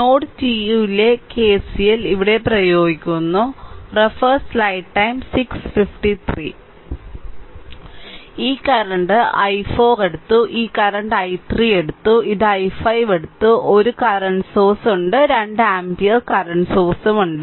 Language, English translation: Malayalam, So, this current we took of this current we took of i 4 and this current we took i 3 right and this one we took i 5 one current source is there 2 ampere current source is there